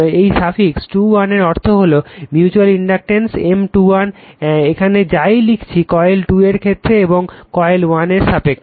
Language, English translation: Bengali, This meaning of the suffix 2 1 is like that, the mutual inductance M 2 1 whatever writing here with respect to your what you call of coil 2 with respect to coil 1 right